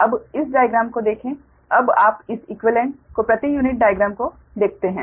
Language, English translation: Hindi, now you see this equivalent, that per unit diagram, right